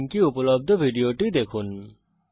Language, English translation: Bengali, Watch the video available at this URL